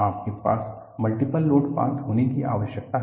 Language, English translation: Hindi, You need to have multiple load path